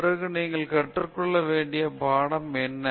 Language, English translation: Tamil, Then, what is the lesson you have to learn